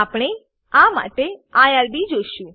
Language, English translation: Gujarati, We will use irb for this